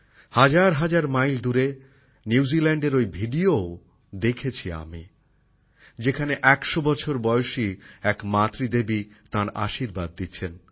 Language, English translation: Bengali, I also saw that video from New Zealand, thousands of miles away, in which a 100 year old is expressing her motherly blessings